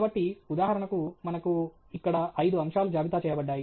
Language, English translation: Telugu, So, for example, here we have five items listed here